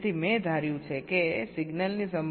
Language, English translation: Gujarati, so we have calculated the signal probabilities